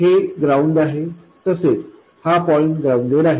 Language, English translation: Marathi, This is ground by the way, this point is grounded